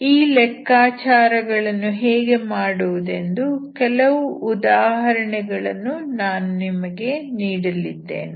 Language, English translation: Kannada, So I will give you some examples how do we calculate this